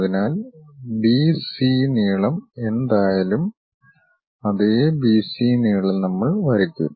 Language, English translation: Malayalam, So, whatever the B C length is there the same B C length we will draw it